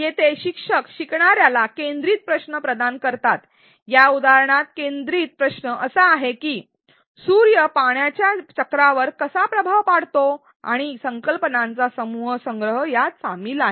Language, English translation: Marathi, Here the instructor provides a focus question to the learner, in this example the focus question is how does the sun influence the water cycle and a group collection of concepts involves a involved are provided